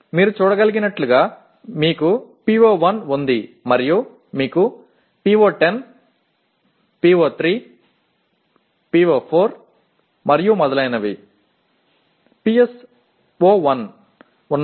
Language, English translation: Telugu, As you can see you have PO1 and you have PO10, PO3, PO4 and so on and PSO1